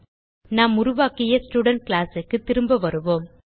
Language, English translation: Tamil, So let us come back to the Student class which we created